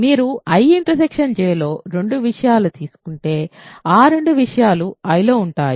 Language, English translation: Telugu, If you take two things in I intersection J those two things are in I